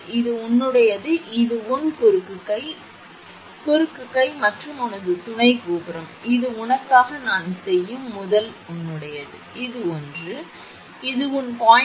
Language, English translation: Tamil, This is your this is that your cross arm this is cross arm and this is your supporting tower, this is your first one I am making for you, this one, this one and this is your 0